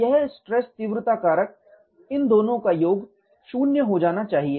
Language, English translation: Hindi, This stress intensity factor the addition of these two should go to 0